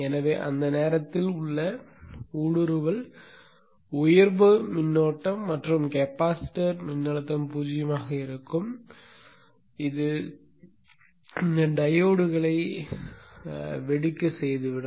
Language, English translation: Tamil, So the search current, the inner charge current at the time when the capacitance voltage is zero can be pretty large which may which can blow up these diodes